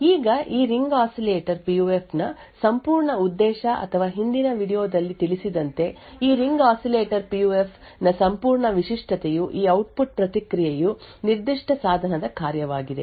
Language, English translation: Kannada, Now the entire purpose of this Ring Oscillator PUF or the entire uniqueness of this Ring Oscillator PUF as mentioned in the previous video is that this output response is going to be a function of that particular device